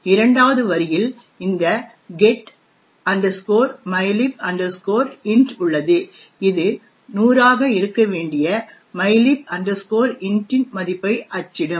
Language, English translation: Tamil, And in the second line we have this getmylib int which would just print the value of mylib int which should be 100